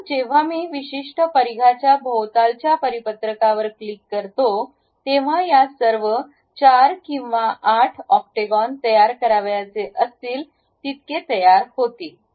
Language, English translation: Marathi, Now, when I click the circular pattern around certain circumference all these octagons will be placed something like whether I would like to have 4 or 8 octagons